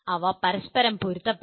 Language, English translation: Malayalam, They should be in alignment with each other